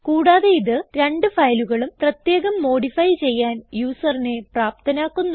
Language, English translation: Malayalam, Second, it enables the user to modify both the files separately